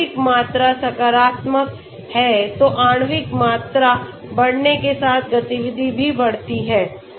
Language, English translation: Hindi, As the molecular volume increases, your activity also increases